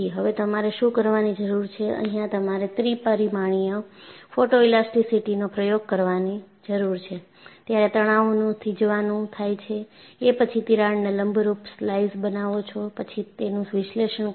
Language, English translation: Gujarati, What you need to do is, you need to do an experiment of three dimensional photo elasticity, where you do the stress () of this; then make slices perpendicular to the crack; then you analyze